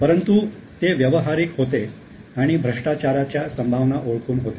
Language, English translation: Marathi, However, he was practical and recognized the potential of corruption